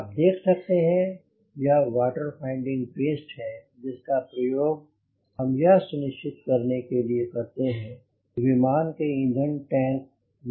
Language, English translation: Hindi, so you can see this is a paste, water finding paste, which we use to ensure that our sample or fuel sample or fuel in the aircraft tank is free of moisture